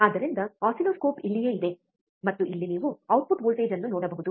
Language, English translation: Kannada, So, oscilloscope is right here, and here you can see the output voltage, right